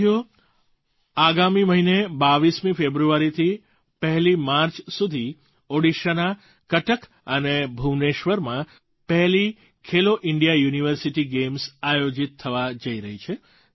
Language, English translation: Gujarati, Friends, next month, the first edition of 'Khelo India University Games' is being organized in Cuttack and Bhubaneswar, Odisha from 22nd February to 1st March